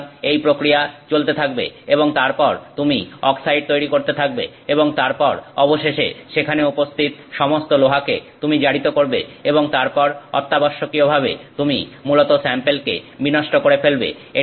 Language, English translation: Bengali, So, this process continues and then you eventually keep creating oxide oxide oxide and then eventually you have oxidized all of that iron that is present there and then essentially that is your basically damaged that sample